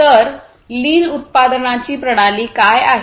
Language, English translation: Marathi, So, what is this lean production system